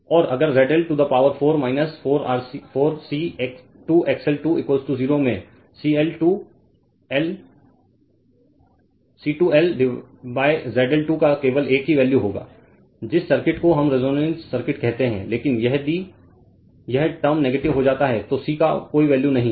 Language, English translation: Hindi, So, and if Z L to the power 4 minus 4 C square XL square is equal to 0 you will have only one value of c right 2L upon ZL Square at which circuit your what we call is resonance circuit right, but if this term becomes negative there is no value of C that circuit will become resonant